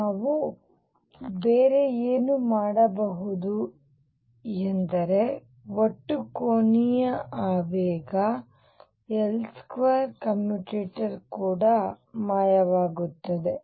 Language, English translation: Kannada, What other thing we can do is that the total angular momentum L square commutator also vanishes